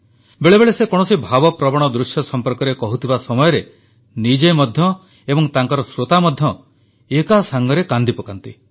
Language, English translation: Odia, Sometimes while relating to an emotional scene, he, along with his listeners, cry together